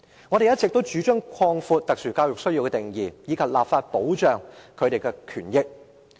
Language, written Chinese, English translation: Cantonese, 我們一直主張擴闊特殊教育需要的定義，以及立法保障有此需要學生的權益。, We have all along advocated the broadening of the definition of special education needs and the enactment of legislation to protect the rights of students with mental health needs